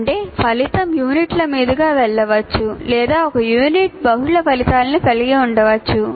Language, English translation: Telugu, That means, my outcome may go across the units or one unit may have multiple outcomes and so on